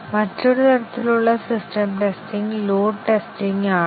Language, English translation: Malayalam, Another type of system testing is load testing